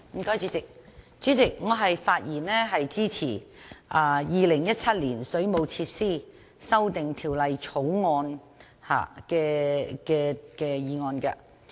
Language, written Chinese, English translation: Cantonese, 代理主席，我發言支持《2017年水務設施條例草案》。, Deputy President I speak in support of the Waterworks Amendment Bill 2017 the Bill